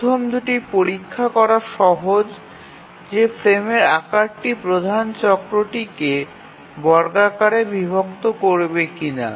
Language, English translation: Bengali, The first two are easy to check that whether the frame size is divides the major cycle squarely or not